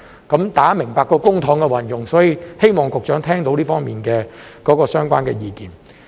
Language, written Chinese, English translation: Cantonese, 大家明白這涉及公帑運用，所以希望局長聽到這方面相關的意見。, We all understand that this involves the use of public funds so we hope that the Secretary will listen to the relevant views in this regard